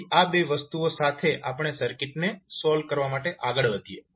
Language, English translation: Gujarati, So with these 2 things let us proceed to solve the circuit